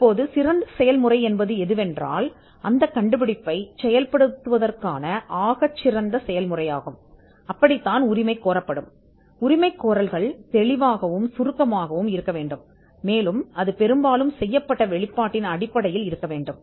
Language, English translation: Tamil, Now, the best method is something which would be claimed the best method of performing the invention will be claimed, and the claims by itself should be clear and succinct, and it should be fairly based on what was disclosed